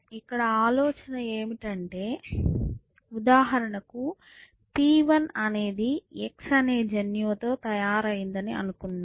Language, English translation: Telugu, So, the idea is something like this for example, let us say P 1 is a made up of let us say gene which we call x